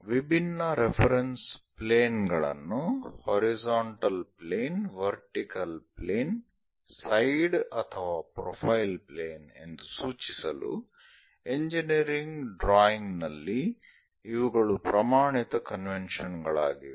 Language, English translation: Kannada, These are the standard conventions for engineering drawing to locate different reference planes as horizontal plane, vertical plane side or profile planes